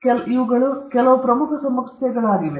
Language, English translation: Kannada, So, these are some of the important issues